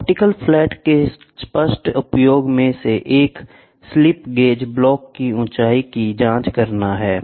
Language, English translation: Hindi, One of the obvious use of optical flat is to check the height of a slip gauge Block